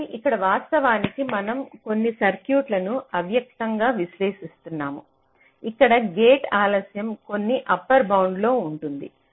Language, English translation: Telugu, so here, actually we are implicitly analyzing some circuits where gate delays are within some upper bound